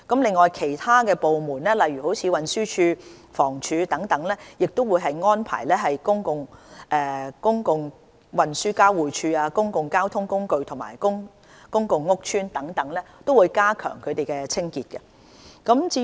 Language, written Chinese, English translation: Cantonese, 此外，其他部門如運輸署、房屋署等也會作出安排，以加強公共運輸交匯處、公共交通工具、公共屋邨等的清潔。, Other departments such as the Transport Department and the Housing Department will also step up cleaning at public transport interchanges public transport carriers public housing estates etc